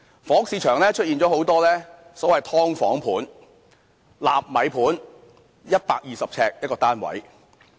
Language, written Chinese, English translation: Cantonese, 房屋市場出現了許多所謂"劏房盤"、"納米盤"，面積只有120平方呎的單位。, We see the emergence of a lot of so - called subdivided units and nano units with an area of only 120 sq ft per unit in the housing market